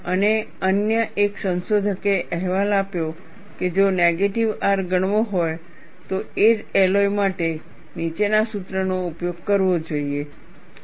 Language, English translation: Gujarati, And another researcher reported that, if negative R is to be considered, then one should use the following formula, for the same alloy